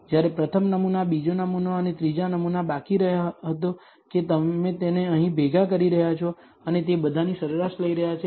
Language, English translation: Gujarati, When the first sample, second sample and third sample was left out that you are cumulating it here and taking the average of all that